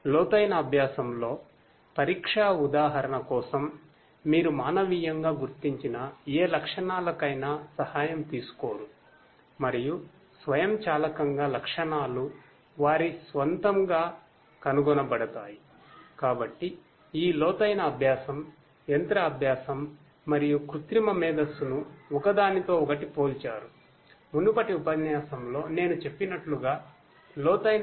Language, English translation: Telugu, In deep learning, for exam example this is where you do not take help of any manually identified features and automatically the features are going to be found out on their own right